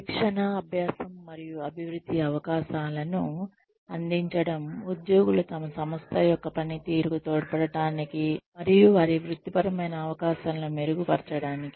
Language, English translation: Telugu, To provide training, learning, and development opportunities, to enable employees to contribute to the performance of their organization and to enhance their career opportunities